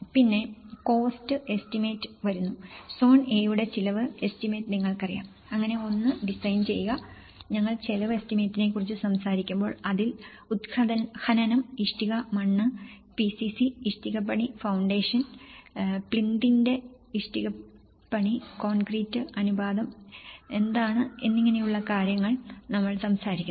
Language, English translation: Malayalam, Then, comes to the cost estimate, you know the cost estimate for zone A, design one so, when we talk about cost estimate, it covers excavation, brick soiling, PCC, brickwork foundation, brickwork about plinth, concrete, what is the ratio we are talking about 1:1